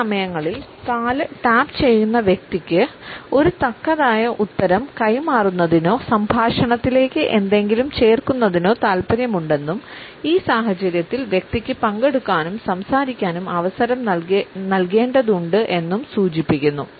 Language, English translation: Malayalam, Sometimes, it may also mean that the person who is tapping with his or her foot is interested in passing on a repartee or to add something to the dialogue and in this situation the person has to be given an opportunity to participate and speak